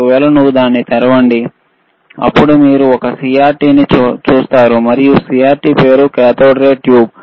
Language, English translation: Telugu, What I am trying to put here is, that iIf you if you open it, then you will see a CRT, and as the it names CRT is cathode ray tube,